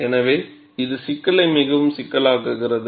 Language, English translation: Tamil, So, that makes the problem much more complex